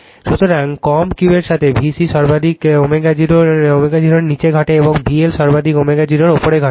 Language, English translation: Bengali, So, with low Q, V C maximum occurs below omega 0, and V L maximum occurs above omega 0